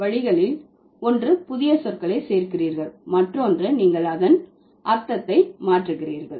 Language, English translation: Tamil, Either you are adding new words or you are changing the meaning of the already existing words